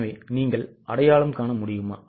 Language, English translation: Tamil, So, are you able to identify